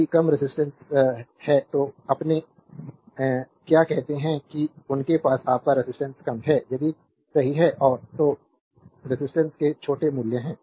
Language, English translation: Hindi, If you have low resistivity, then you have your; what you call they have the low your resistance, right and hence have small values of resistance